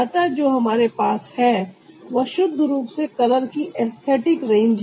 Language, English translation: Hindi, so what we have is a purely, purely aesthetic range of color